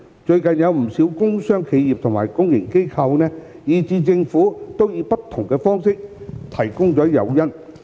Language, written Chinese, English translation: Cantonese, 最近，不少工商企業和公營機構，以至政府都以不同方式向市民提供接種疫苗誘因。, These days many business corporations public organizations as well as the Government have introduced various forms of incentives to encourage the public to receive vaccination